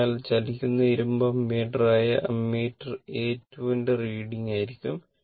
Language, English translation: Malayalam, So, that will be the reading of ammeter a 2 that is the moving iron ammeter